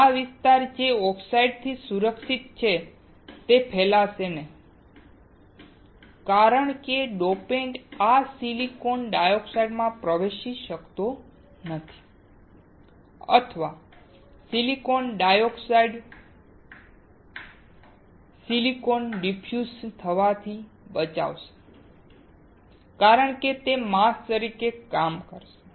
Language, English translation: Gujarati, This area which is protected by the oxide will not get diffused since the dopant cannot enter this silicon dioxide or silicon dioxide will protect the silicon from getting diffused because it will act as a mask